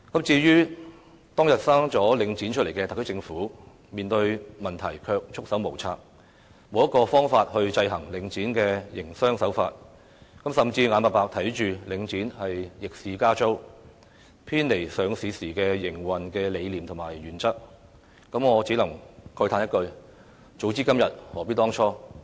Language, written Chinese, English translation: Cantonese, 至於當日誕下領展的特區政府，面對問題卻束手無策，沒有方法制衡領展的營商手法，甚至眼巴巴看着領展逆市加租，偏離上市時的營運理念和原則，我只能慨嘆一句，"早知今日，何必當初"。, As for the SAR Government which gave birth to Link REIT it is at its wits end in dealing with the problems . It is also clueless as to how it can exercise checks on the business practices of Link REIT and it has even sit idly by while seeing Link REIT increase the rental against the market trend and deviating from the operational philosophies and principles vowed by it upon its listing . Had the Government known these consequences today alas it should not have done what it did back then